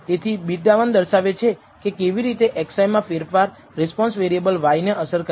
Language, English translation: Gujarati, So, beta one tells you how a change in x i affects the response variable y